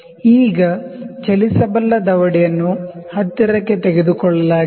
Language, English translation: Kannada, Now, the moveable jaw is taken close